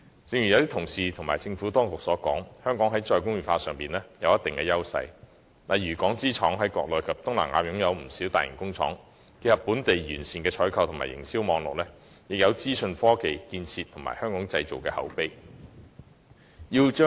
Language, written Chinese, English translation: Cantonese, 正如多位同事及政府當局指出，香港在"再工業化"上有一定優勢，例如港資廠商在國內及東南亞設有不少大型工廠，可結合本地完善的採購和營銷網絡，以及資訊科技建設及"香港製造"品牌的口碑。, As pointed out by a number of colleagues and the Administration Hong Kong has a certain competitive edge in re - industrialization . For example the large - scale Hong Kong - funded factories set up by Hong Kong owners in the Mainland and Southeast Asia can be integrated with Hong Kongs sound procurement and marketing networks information technology infrastructure and the reputation of the Made in Hong Kong brand